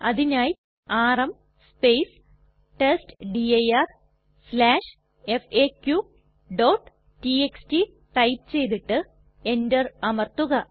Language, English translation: Malayalam, For this we type rm space testdir/faq.txt and press enter